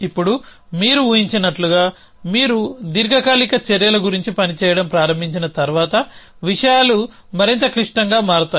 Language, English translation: Telugu, Now, as you can imagine once you start working about durative actions then things become much more complicated